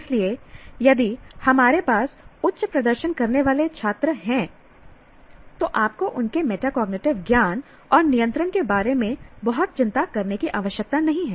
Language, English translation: Hindi, So, if you have a top class students, highly performing students, you don't have to worry very much about their metacognitive knowledge and control